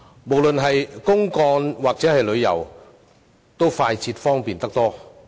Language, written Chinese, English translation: Cantonese, 無論是公幹或旅遊，均快捷方便得多。, It will allow increased speed and convenience for both business trips and sightseeing